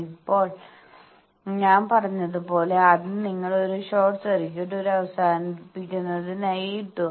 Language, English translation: Malayalam, So, what is done that as I said that first you put a short circuit as a termination